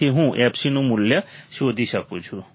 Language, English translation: Gujarati, So, I can find the value of fc